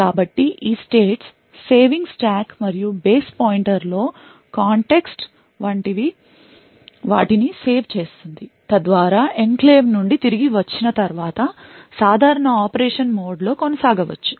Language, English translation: Telugu, So, these states saving like context saving in the stack and base pointer and so on are saved so that after returning from the enclave the normal mode of operation can continue